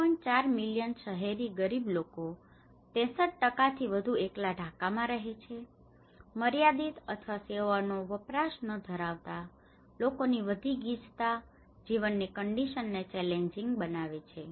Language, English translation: Gujarati, 4 million urban poor living in cities more than 63% live in Dhaka alone, high density of population with limited or no access to services make living conditions challenging